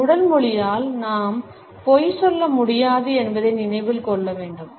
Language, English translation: Tamil, We have to remember that with our body language we cannot lie